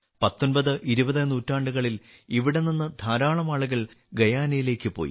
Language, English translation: Malayalam, In the 19th and 20th centuries, a large number of people from here went to Guyana